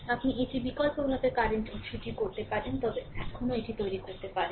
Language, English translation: Bengali, Similarly, you can do it alternatively current source also you can make it